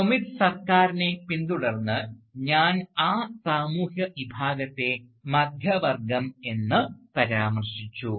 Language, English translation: Malayalam, And, I have referred to that social class, following Sumit Sarkar, as the middle class